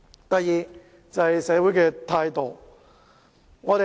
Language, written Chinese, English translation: Cantonese, 第二，是社會態度。, Secondly it is the social attitude